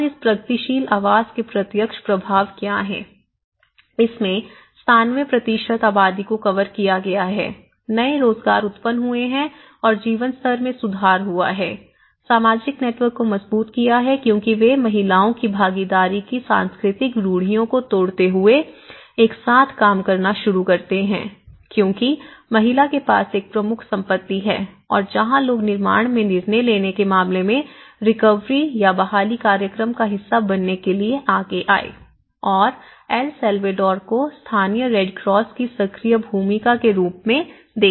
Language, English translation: Hindi, And, what are the direct impacts of this progressive housing, 97% of the population have been covered, new employment have been generated and improved the standard of living, strengthening the social networks because they start working together, breaking cultural stereotypes of women involvement because woman has been a major asset and where people were came forward to be part of the recovery program in terms of decision making in the construction and the El Salvador Red Cross as active role the local Red Cross